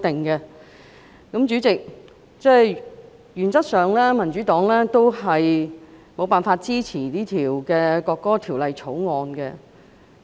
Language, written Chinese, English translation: Cantonese, 代理主席，原則上民主黨無法支持《條例草案》。, Deputy Chairman the Democratic Party cannot support the Bill in principle